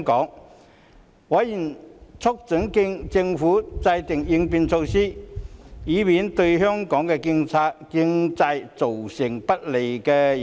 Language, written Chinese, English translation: Cantonese, 就此，委員促請政府制訂應變措施，以免對香港經濟造成不利影響。, In this connection members urged the Administration to formulate measures to counteract the possible adverse impacts on the Hong Kong economy